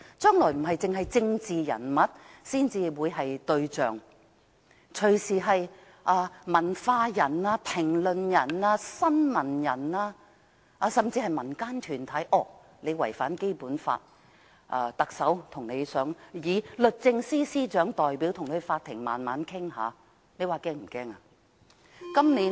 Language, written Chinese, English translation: Cantonese, 將來不只政治人物會成為對象，文化人、評論員、新聞從業員甚至民間團體隨時也可被指違反《基本法》，由律政司司長代表特首將他們帶上法庭慢慢處理，這是否很可怕呢？, In the future not only political figures will be targeted but writers commentators journalists and even community organizations can be accused of contravening the Basic Law at any time and brought to court by the Secretary for Justice on behalf of the Chief Executive for a slow trial . Is it not very horrible?